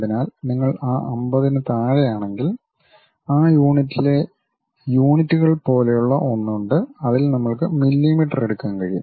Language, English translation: Malayalam, So, if you are coming down below that 50, there is something like units in that unit we can pick mm